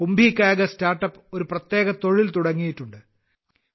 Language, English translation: Malayalam, KumbhiKagaz StartUp has embarked upon a special task